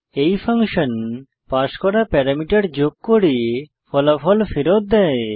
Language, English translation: Bengali, This function does the addition of the passed parameters and returns the answer